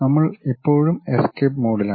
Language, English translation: Malayalam, We are still in escape mode